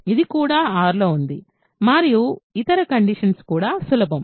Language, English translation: Telugu, This is also in R and the other conditions are also easy ok